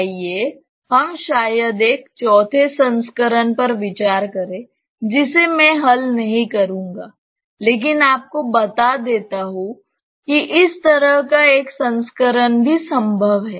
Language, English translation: Hindi, Let us consider maybe a fourth variant which I will not solve, but just tell you that such a variant is also possible